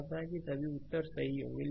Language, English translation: Hindi, Hope all answers are correct